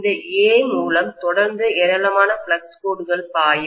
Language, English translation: Tamil, Through this A, continuously I will be having huge number of flux lines flowing